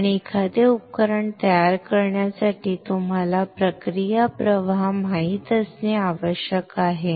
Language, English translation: Marathi, And for fabricating a device you should know the process flow